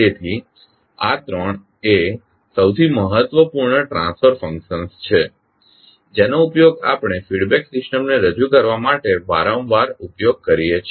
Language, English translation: Gujarati, So these three are the most important transfer functions which we use frequently to represent the feedback system